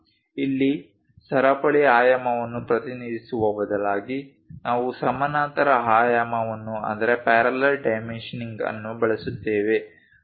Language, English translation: Kannada, Here, representing chain dimension instead of that we go with parallel dimensioning